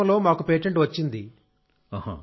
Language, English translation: Telugu, This year, it came to us through a patent grant